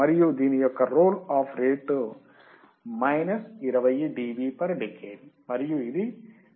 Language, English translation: Telugu, And the roll off rate for this one is minus 20 dB per decade